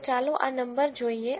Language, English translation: Gujarati, So, let us look at this number